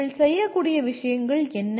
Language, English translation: Tamil, What are the things you should be able to do